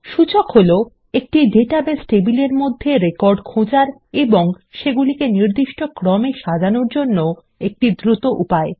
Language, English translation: Bengali, An Index is a way to find and sort records within a database table faster